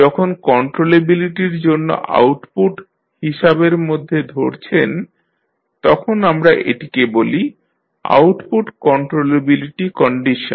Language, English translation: Bengali, When you consider output for the controllability we call it as output controllability condition